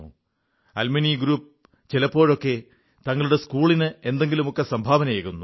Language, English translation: Malayalam, You must have seen alumni groups at times, contributing something or the other to their schools